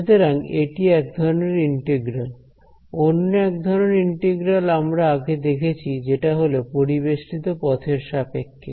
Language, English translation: Bengali, So, this is one kind of integral, the other kind of line integral is also something which we have seen which is a integral around a closed path right